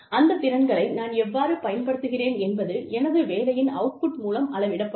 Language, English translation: Tamil, How i use those skills, is going to be measured, by the output of my work